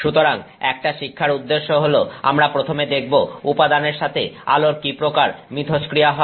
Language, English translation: Bengali, So, our learning objectives are we will first look at how materials interact with light